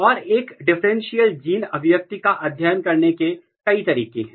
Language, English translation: Hindi, And there are many way to study a differential gene expression